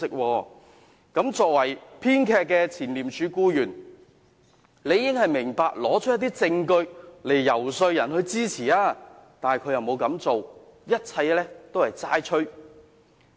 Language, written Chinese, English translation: Cantonese, 這位作為編劇的前廉署僱員，理應明白需要提供一些證據來求取別人支持，但他並沒有這樣做，一切都是"齋吹"。, The scriptwriter who is a former employee of ICAC should understand very well that he has to produce some evidence in order to solicit support from the public but he has done nothing other than making empty accusations